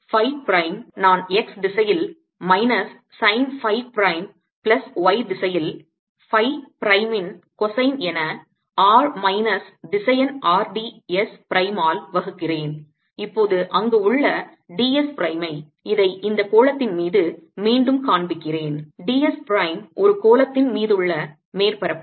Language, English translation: Tamil, phi prime i can write as minus sine phi prime in x direction, plus cosine of phi prime in y, divided by r minus vector r d s prime where d s prime is now let me show it again: over this sphere, d s prime is a surface area over the sphere